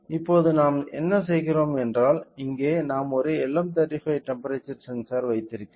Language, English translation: Tamil, Now, what we do is that here we have LM35 temperature sensor LM35 temperature sensor we will connect it